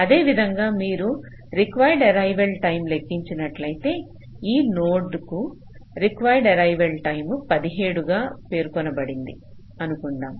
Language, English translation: Telugu, similarly, if you calculate the required arrival time, suppose the required arrival time for this node was specified as seventeen